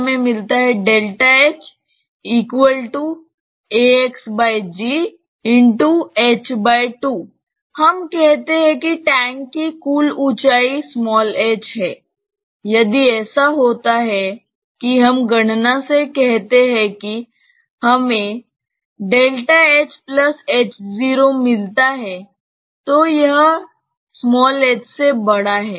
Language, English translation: Hindi, Let us say that the total height of the tank is h; if it so happens that let us say for from calculation we get delta h plus h 0, it is greater than h